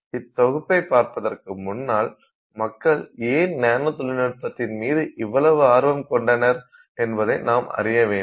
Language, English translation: Tamil, But to begin with let's first understand why we should have any interest in the field of nanotechnology